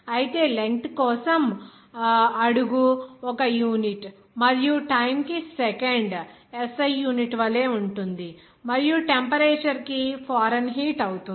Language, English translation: Telugu, Whereas foot would be a unit for length and second the same way as SI it would be taken for time and the temperature would be Fahrenheit